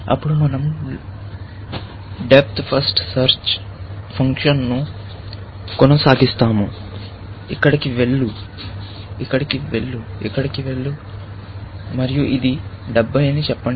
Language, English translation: Telugu, Then, we continue the depth first fashion; go here, go here, go here, and let us say that this is 70